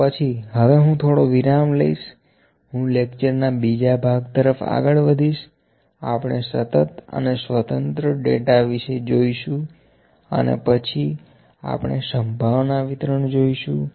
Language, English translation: Gujarati, So, next I like to take a little break here, I will move to the next part of the lecture, we will discuss about discrete and continuous data and then we will move to the probability distributions